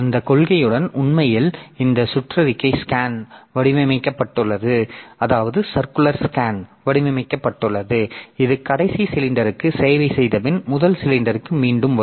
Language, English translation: Tamil, So, with that policy actually this circular scan has been designed that it comes back to the first cylinder after servicing the last cylinder